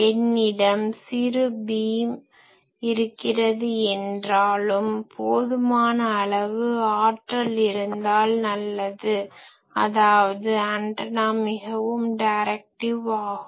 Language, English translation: Tamil, So, if I have a very short beam, but I have sufficient power then that is good; that means, the antenna is very directive